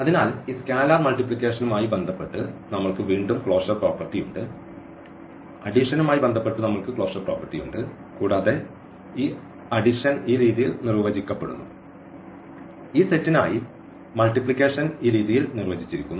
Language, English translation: Malayalam, So, again we have the closure property with respect to this scalar multiplication, we have the closure property with respect to the addition and this addition is defined in this way which we have explained the multiplication is defined in this way for this set